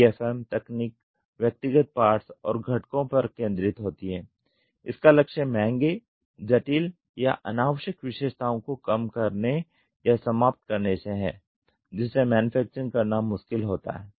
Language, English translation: Hindi, DFM techniques are focused on individual parts and components with a goal of reducing or eliminating expensive complex or unnecessary features which would make them difficult to manufacture